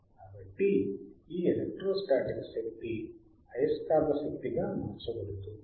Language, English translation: Telugu, So, this electro static energy is converted to magnetic energy